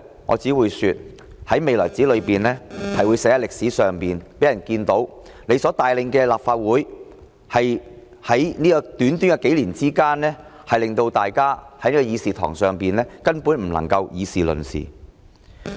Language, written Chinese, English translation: Cantonese, 我只會說，在未來的日子裏，梁主席的所作所為將會寫在歷史上，讓人們看到在短短數年間，他所帶領的立法會令到大家在議事堂根本不能議事論事。, I can only say that the doings of President LEUNG will be recorded in history for people to see how within the few years under his leadership the Legislative Council has become a place where Members cannot discuss issues